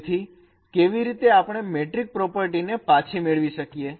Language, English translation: Gujarati, So how we can recover the metric properties